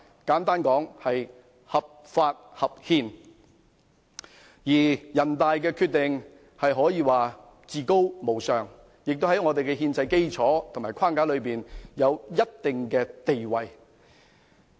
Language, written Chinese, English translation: Cantonese, 簡單來說，它既合法，亦合憲，而人大常委會的決定可說是至高無上，並在香港的憲制基礎和框架內有一定的地位。, Simply put it is legal and constitutional and the Decision of NPCSC may be regarded as paramount enjoying a certain status in the constitutional basis and framework of Hong Kong